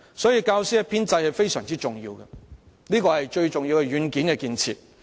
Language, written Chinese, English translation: Cantonese, 因此，教師編制非常重要，是最重要的軟件建設。, Therefore the teacher establishment is very important and the most crucial software development